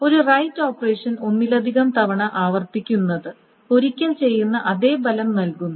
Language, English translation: Malayalam, So, redoing an operation, redoing a right operation multiple times has the same effect as doing it once